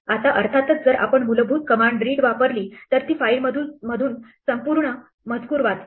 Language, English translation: Marathi, Now, of course, if we use the basic command read, it reads the entire content